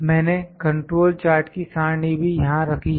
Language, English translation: Hindi, The table control chart that I have also put it here